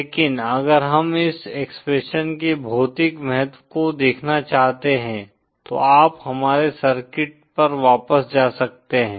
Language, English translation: Hindi, But if we just want to see the physical significance of this expression then you can go back to our circuit